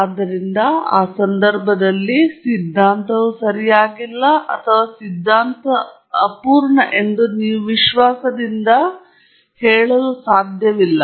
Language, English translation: Kannada, So, in that case you cannot confidently say that the theory is not correct or the theory is incomplete